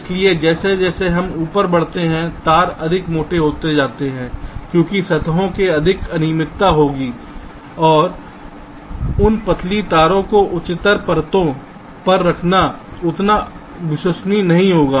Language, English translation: Hindi, so as we go up, move up, the wires tend to become thicker because there will be more irregularity in the surfaces and laying out those thin wires on the higher layers will be not that reliable